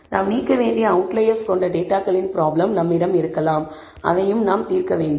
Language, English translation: Tamil, We also may have a problem of data containing outliers which we may have to remove, and that also we have to solve